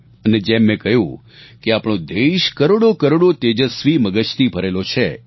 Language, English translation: Gujarati, And as I mentioned, our country is blessed with millions and millions of the brightest of brains